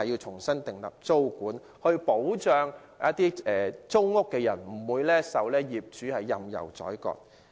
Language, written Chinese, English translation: Cantonese, 重新訂立租管，有助保障租戶不受業主任意宰割。, We should reinstate tenancy control to protect tenants from being wilfully exploited by property owners